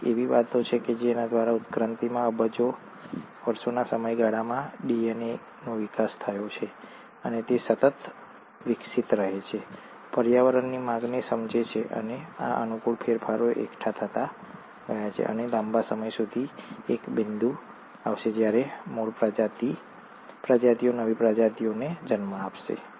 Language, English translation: Gujarati, So, there are ways by which across evolution, over a period of billions of years, the DNA has evolved, and it keeps evolving, sensing demands of the environment, and these favourable changes have went on accumulating and over a long period of time, a point will come when the original species will end up giving rise to a newer species